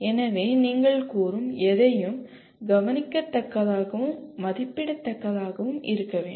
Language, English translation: Tamil, So anything that you state should be observable and assessable